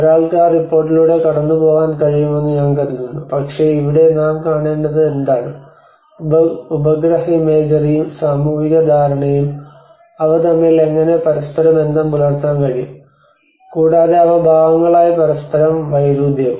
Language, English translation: Malayalam, I think one can go through that report but here what we have to see is what we have to learn from is that how even the satellite imagery and the social understanding, how they are able to correlate with each other, and also they in parts they also contrast with each other